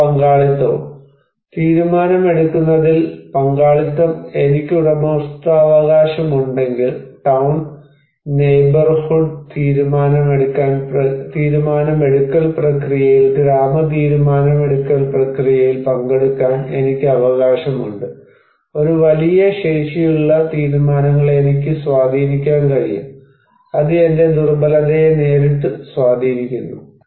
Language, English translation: Malayalam, And participations; participation in decision making, if I have the ownership, I have the right to participate in the village decision making process in the town neighborhood decision making process, I can influence the decisions that is a great capacity, it has a direct impact on my vulnerability